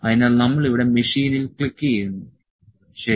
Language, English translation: Malayalam, So, we click on the machine here, ok